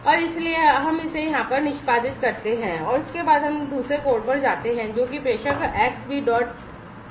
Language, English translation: Hindi, And so, let us execute this one over here, and thereafter let us go to the other code which is the sender x b dot pi